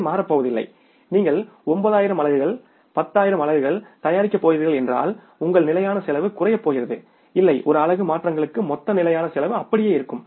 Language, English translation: Tamil, It is not going to change that if you are going to manufacture the 9,000 units not 10,000 units then your fixed cost is going to come down no